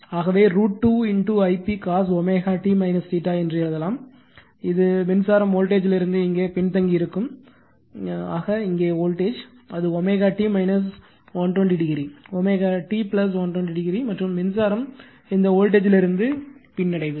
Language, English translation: Tamil, Thus, we can say i a also we can write that root 2 I p cos omega t minus theta, this is current will lag by your voltage here, voltage here it is omega t minus 120 degree, omega t plus 120 degree, and current will lag from this voltage